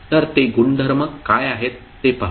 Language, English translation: Marathi, So, let us see what are those properties